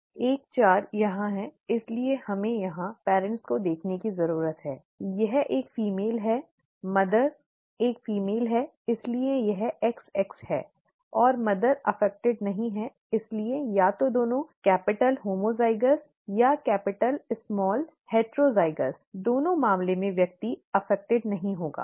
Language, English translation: Hindi, 14 is here, therefore we need to look at the parents here, this is a female, the mother is a female therefore its XX and the mother is not affected therefore either both capitals homozygous or capital small heterozygous in both cases the person will not be affected